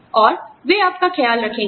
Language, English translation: Hindi, And, they will take care of you